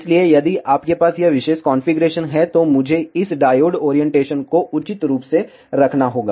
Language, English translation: Hindi, So, if you have ah this particular configuration, I have to have this diode orientation appropriately